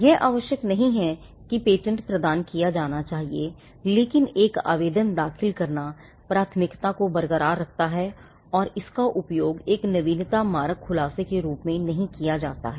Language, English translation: Hindi, It is not necessary that the patent should be granted, but filing an application preserves the priority and it cannot be used as a novelty killing disclosure